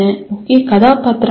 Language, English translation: Tamil, Who was the key character …